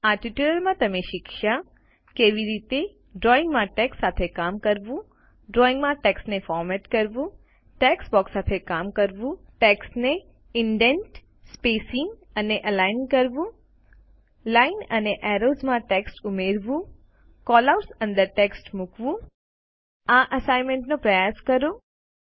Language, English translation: Gujarati, In this tutorial, you have learnt how to: Work with text in drawings Format text in drawings Work with text boxes Indenting, spacing and aligning text Adding text to Lines and Arrows Placing text within Callouts Try out this Assignment by yourself